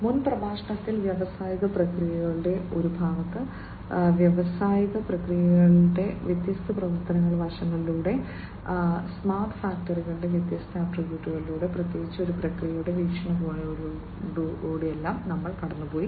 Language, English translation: Malayalam, In the previous lecture, in the part one of industrial processes, we have gone through the different functional aspects of industrial processes, the different attributes of smart factories particularly from a process point of view, we have gone through